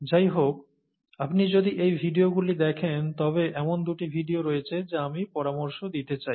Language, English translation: Bengali, Anyway, if you look at these videos, there are two videos that I’d like to recommend